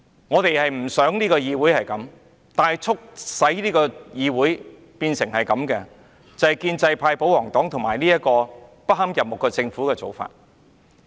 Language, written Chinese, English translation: Cantonese, 我們不想議會變成這樣，但促使議會變成這樣的就是建制派、保皇黨和不堪入目的政府的做法。, I do not want the legislature to turn into such a state but the present state of the legislature is actually attributed to the pro - establishment camp the royalists and the repulsive initiative of the Government